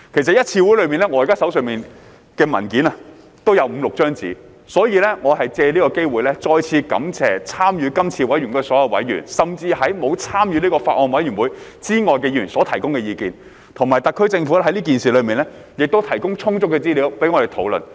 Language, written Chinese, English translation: Cantonese, 本人現時手上的文件也有五六頁紙，所以借此機會再次感謝參與今次委員會的所有委員，甚至沒有參與此法案委員會之外的議員所提供的意見，以及特區政府在此事上亦提供充足的資料讓我們討論。, In fact I have more than five or six pages of papers in my hand concerning the Bill . Therefore I would like to take this opportunity to thank all members of the Bills Committee and even those who have not participated in the Bills Committee for their input as well as the SAR Government for providing sufficient information for our discussion on this issue